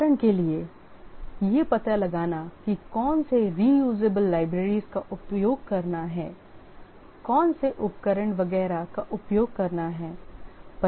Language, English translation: Hindi, For example finding out which reusable libraries to use, which tools to use, etc